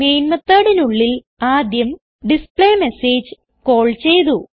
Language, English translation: Malayalam, In the Main method, we have first called the displayMessage